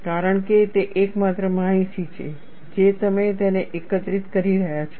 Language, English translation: Gujarati, Because that is the only information you are collecting it